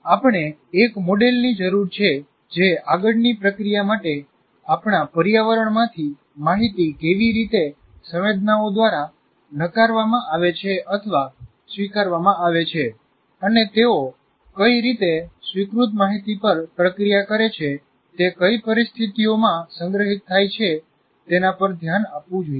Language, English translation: Gujarati, Now, we require a model that should address how the information from our environment is rejected or accepted by senses for further processing and how the accepted information is processed under what conditions it gets stored